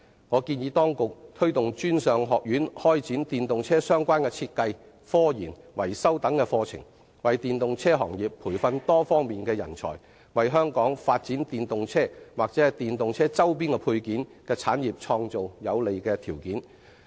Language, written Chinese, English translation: Cantonese, 我建議當局推動專上學院開設與電動車相關的設計、科研、維修等課程，為電動車行業培訓多方面人才，為香港發展電動車或電動車周邊配件的產業創造有利的條件。, I propose that the authorities should encourage tertiary institutions to offer courses of design scientific research and maintenance related to EVs so as to nurture different types of talents for the EV industry and in turn create favourable conditions for the promotion of EVs and the development of EV paraphernalia industries